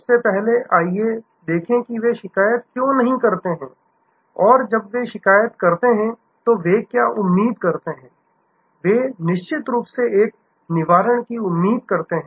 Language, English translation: Hindi, First of all, let us see why they complain and what do they expect when they complain, they definitely expect a Redressal